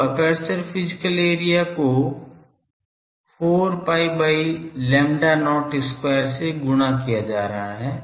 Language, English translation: Hindi, So, aperture physical area is getting multiplied by 4 pi by lambda not square